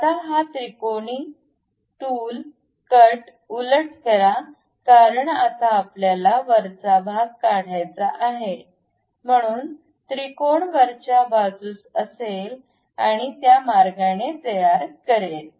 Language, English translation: Marathi, Now, reverse this triangular tool cut because now we want to remove the top portion, so the triangle will be on top side and make it in that way